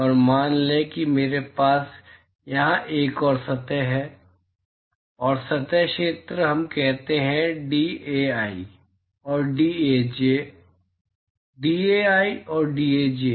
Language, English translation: Hindi, And let us say I have another surface here, and the differential area is let us say dAi and dAj, dAi and dAj